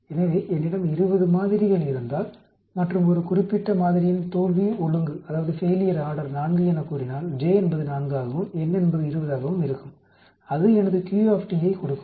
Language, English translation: Tamil, So if I have 20 samples and if a particular sample failure order is say 4, then j will be 4 and n will be 20 that will give me my Q